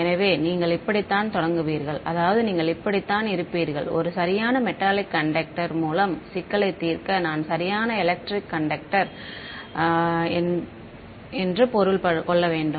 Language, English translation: Tamil, So, this is how you would start, I mean this is how you would solve problem with a perfect metallic conduct I mean perfect electric conductor ok